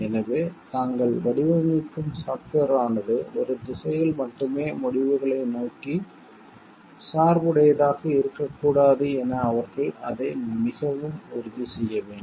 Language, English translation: Tamil, So, they should make it very sure like the software that they are designing a should not be biased towards the results in one direction only